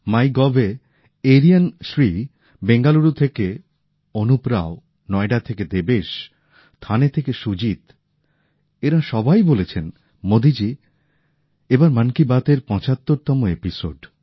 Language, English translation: Bengali, On MyGov, Aryan Shri Anup Rao from Bengaluru, Devesh from Noida, Sujeet from Thane all of them said Modi ji, this time, it's the 75th episode of Mann ki Baat; congratulations for that